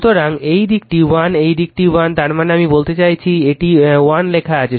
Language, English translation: Bengali, So, this side is 1 this side is 1, I mean I mean hear it is written 1